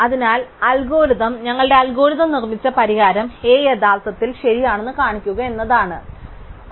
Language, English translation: Malayalam, So, our goal is to show that the algorithm, the solution A produce by our algorithm is actually correct